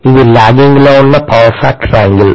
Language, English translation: Telugu, Please note, it is a lagging power factor angle